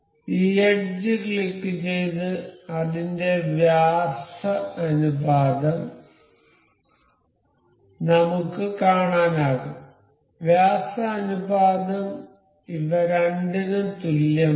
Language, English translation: Malayalam, Click this edge and say this edge, it will we can see the t diameter t th ratio the diameter ratio is same for both of these